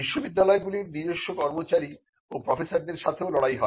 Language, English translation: Bengali, But universities are also fought with their own employees and professors